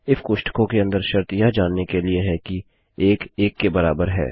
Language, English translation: Hindi, If inside the bracket is the condition to know whether 1 equals 1